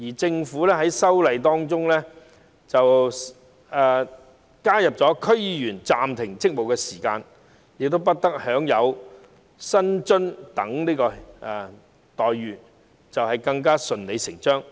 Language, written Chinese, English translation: Cantonese, 政府在就《條例草案》提出的修正案中，建議區議員在暫停職務期間不得享有薪酬及津貼等待遇，是順理成章。, It is logical for the Government to propose amendments to the Bill to the effect that DC members shall not enjoy such entitlements as remuneration and allowances during the suspension